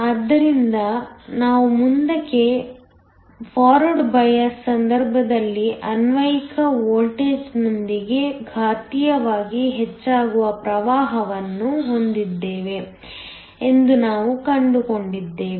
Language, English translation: Kannada, So, we found out that in the case of forward bias we have a current that increases exponentially with the applied voltage